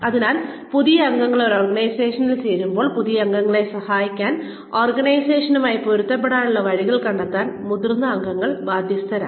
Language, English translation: Malayalam, So, when new members join an organization, the senior members are obligated, to help the newcomer, find ways of adjusting to the organization